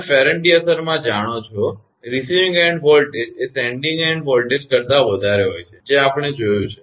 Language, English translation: Gujarati, You know in the Ferranti effect; receiving end voltage will be more than sending end; that we have seen